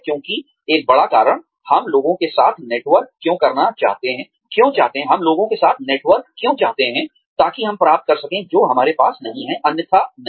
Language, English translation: Hindi, Because, one big reason, why we want to network with people is, so that, we can get, what we would not have, otherwise got